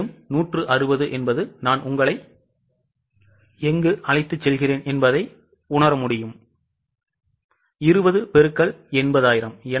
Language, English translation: Tamil, You will realize that this 160, I'll just take you again here, was based on 20 into 80,000